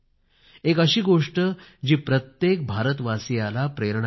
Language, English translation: Marathi, This is a story that can be inspiring for all Indians